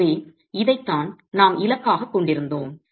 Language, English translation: Tamil, So, this is what we were targeting